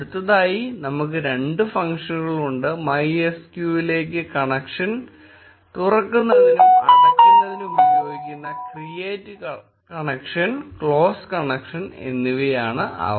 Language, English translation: Malayalam, Next, we have two functions, create connection and close connection which are used to open and close connection to MySQL